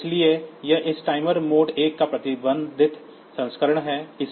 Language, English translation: Hindi, So, this is a restricted version of this timer mode 1